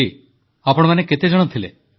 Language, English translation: Odia, Hari, how many of you were there